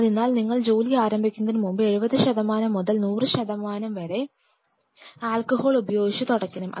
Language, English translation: Malayalam, So, it means before you start the work you wipe it with alcohol properly thoroughly 70 percent to 100 percent alcohol